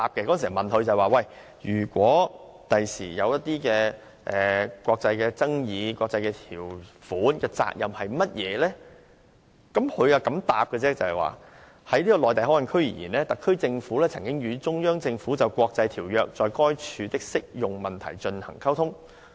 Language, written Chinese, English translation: Cantonese, 當時有議員問當局，如將來出現國際爭議，國際的條款責任為何？當局答覆如下："就'內地口岸區'而言，特區政府曾與中央政府就國際條約在該處的適用問題進行溝通。, When asked by a Member as to our duties under international treaties in the event of future international disputes the Administration has replied as follows In relation to the MPA [Mainland Port Area] the HKSAR Government has communicated with the CPG [Central Peoples Government] on the applicability of international treaties thereat